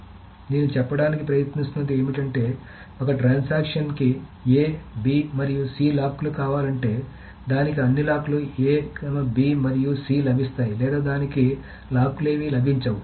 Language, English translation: Telugu, So what I am trying to say is that if a transaction one wants the locks on A, B and C, either it will get all the locks on A, B and C, or it will get none of the locks